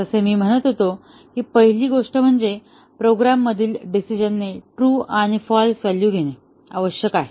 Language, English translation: Marathi, As I was saying that the first thing is that the decision in the program must take true and false value